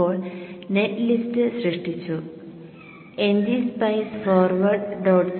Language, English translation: Malayalam, Now that the net list has created, NG Spice Forward